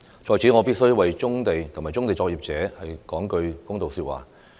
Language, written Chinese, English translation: Cantonese, 在此，我必須為棕地及棕地作業者說句公道說話。, Here I must say a few words for brownfield sites and brownfield operators